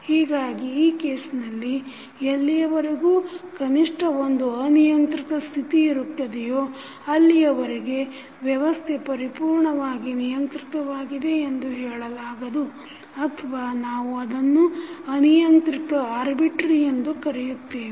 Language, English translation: Kannada, So in that case, the as long as there is at least one uncontrollable state the system is said to be not completely controllable or we just call it as uncontrollable